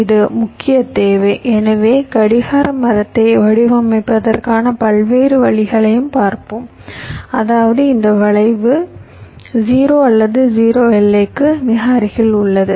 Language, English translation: Tamil, so we shall be looking at various ways of designing the clock tree such that this skew is either zero or very close to zero bounded